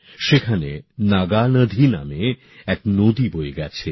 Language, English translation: Bengali, A river named Naagnadi flows there